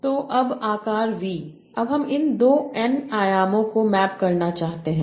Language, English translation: Hindi, Now I want to map these to these two, this n dimensions